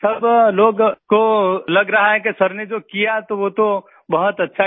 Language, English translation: Hindi, Everyone is feeling that what Sir has done, he has done very well